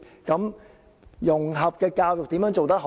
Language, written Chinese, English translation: Cantonese, 怎樣做好融合教育呢？, How can we provide better integrated education?